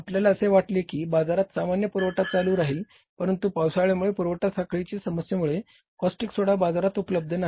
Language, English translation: Marathi, Sometimes supply is a problem, we thought that normal supply is maintained in the market but because of rainy season because of the supply chain problem the castic soda is not available in the market